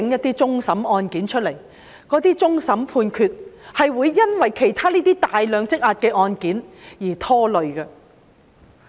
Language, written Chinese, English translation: Cantonese, 請盡快處理一些終審案件，因為其他大量積壓的案件是會拖累終審判決的。, Please expeditiously process the cases pending at the Court of Final Appeal . This large backlog will delay the delivery of judgment at the Court of Final Appeal